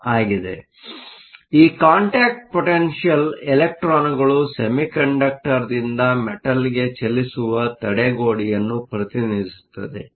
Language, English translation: Kannada, So, this contact potential represents the barrier for the electrons to move from the semiconductor to the metal